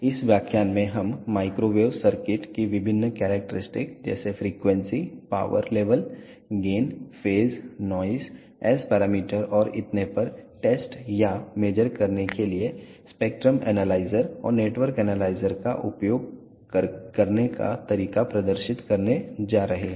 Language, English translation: Hindi, In this lecture we are going to demonstrate how to use spectrum analyzer and network analyzer to test or major various characteristics of microwave circuits such as frequency, power levels, gain, phase, noise, S parameters and so on